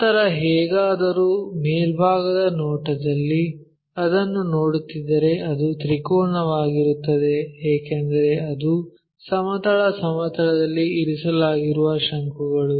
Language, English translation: Kannada, Then anyway in the top view if we are looking at it, it will be a triangle because it is a cone which is resting on the horizontal plane